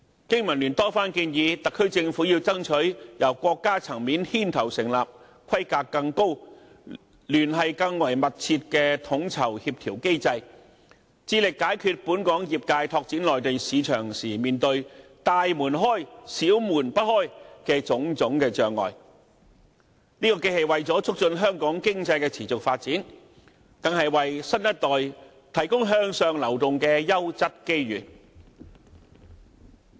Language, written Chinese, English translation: Cantonese, 經民聯多番建議特區政府要爭取由國家層面牽頭成立規格更高、聯繫更為密切的統籌協調機制，致力解決本港業界拓展內地市場時面對"大門開，小門不開"的種種障礙，這既是為了促進香港經濟的持續發展，更是為新一代提供向上流動的優質機遇。, BPA has repeatedly urged the SAR Government to strive for the establishment of a coordination mechanism led by national leaders at a higher level with closer connections to solve the difficulties of big doors are open but small doors are shut faced by Hong Kong sectors in developing the Mainland market . This will not only promote the sustained economic development of Hong Kong but also provide an excellent upward mobility opportunity for the new generation